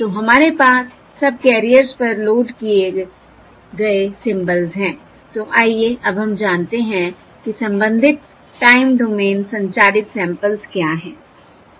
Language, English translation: Hindi, So we have the symbols loaded onto the subcarriers, so let us now find what the corresponding time domain transmitted samples are